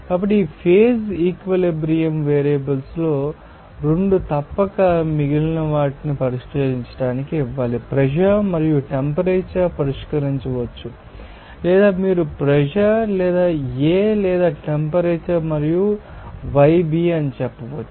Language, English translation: Telugu, So, 2 of the phase equilibrium variables must be given to fix all the others for example, pressure and temperature can be fixed or you can say pressure or A or temperature and yB like more fraction of that component